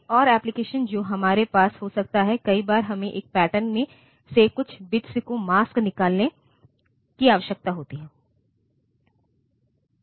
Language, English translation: Hindi, Another application that we can have is many times we need to mask out certain bits from them from a pattern